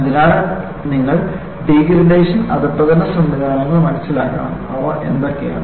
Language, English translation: Malayalam, So, you have to understand the degradation mechanisms and what are they